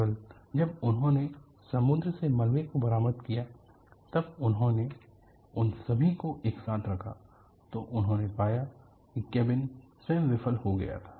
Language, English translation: Hindi, Only when they recovered the debri from the sea, when they put all of them together, they found that cabin itself had failed